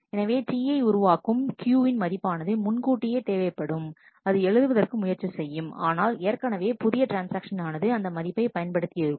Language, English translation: Tamil, So, then the value Q that T i is producing was needed earlier, it is trying to write, but already a newer transaction has used the value